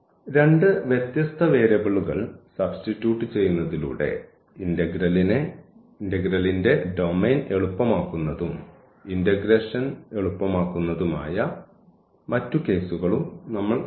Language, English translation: Malayalam, But we have seen the other cases as well where by substituting two different variables makes the domain of the integral easier and also the integrand easier